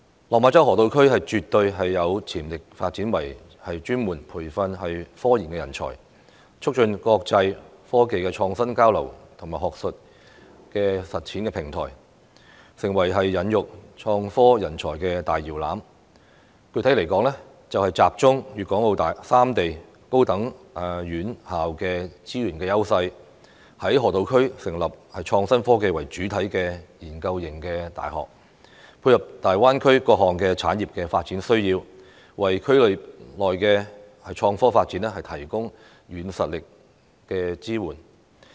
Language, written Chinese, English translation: Cantonese, 落馬洲河套區絕對有潛力發展為專門培訓科研人才，促進國際科技的創新交流和學術實踐的平台，成為孕育創科人才的大搖籃，具體來說，集中粵港澳三地高等院校的資源優勢，在河套區成立創新科技為主體的研究型大學，配合大灣區各項產業的發展需要，為區內的創科發展提供軟實力的支援。, The Lok Ma Chau Loop has the absolute potential to develop as a cluster that specializes in nurturing scientific research talents and fosters international exchange in technological innovation and commercialization of academic research thus turning itself into a cradle to IT talents . Specifically a research - oriented university focusing on IT should be set up in the Loop by gathering the elite resources of the tertiary institutions in Guangdong Hong Kong and Macao so as to meet the development needs of various industries in the Greater Bay Area and provide soft - power support to IT development in the area